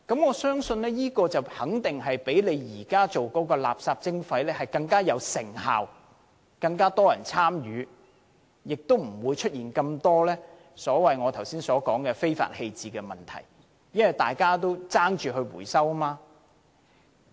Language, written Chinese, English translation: Cantonese, 我相信這些方法肯定會較現在擬進行的垃圾徵費更有成效，會有更多人參與，亦不會出現那麼多我剛才所說的非法棄置垃圾的問題，因為大家會爭相回收廢物。, I believe such methods will surely be more effective than the proposed waste charging scheme . More people will participate in waste reduction and problems of illegal waste disposal that I mentioned earlier will not be so rampant because people will have a strong incentive to recycle waste